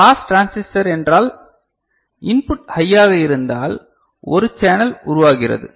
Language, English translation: Tamil, Pass transistor means; if the input is high then we have a channel getting formed